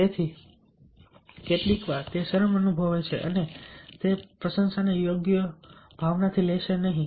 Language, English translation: Gujarati, so sometimes a person also feel ah embarrassed and will not take that a appreciation in the right spirit